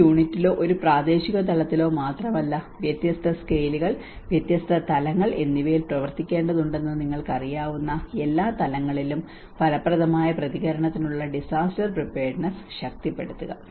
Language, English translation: Malayalam, Strengthen the disaster preparedness for effective response at all levels you know that is not only at one unit or one local level, but it has to work out a different scales, different levels